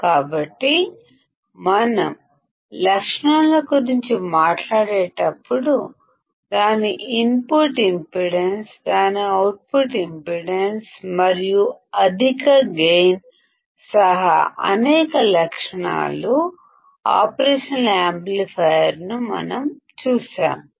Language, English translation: Telugu, So, when we talk about the characteristics; we have seen several characteristics operational amplifier including its input impedance, its output impedance and high gain